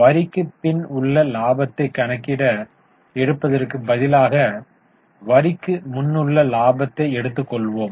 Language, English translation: Tamil, Instead of taking profit after tax, we will take profit before tax